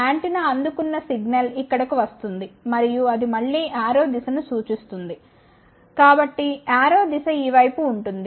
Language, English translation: Telugu, The signal received by the antenna comes through here and that goes see the again arrow direction so arrow direction is in this side